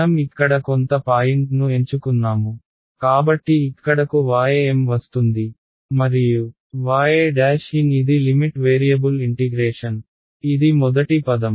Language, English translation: Telugu, I chose some point over here y m so y m come comes over here and y prime is my limit variable of integration that remains as is that was the first term